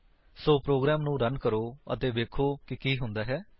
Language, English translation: Punjabi, So, let us run the program and see what happens